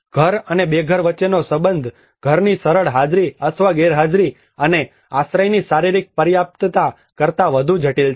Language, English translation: Gujarati, The relationship between home and homelessness is more complex than the simple presence or absence of home and the physical adequacy of the shelter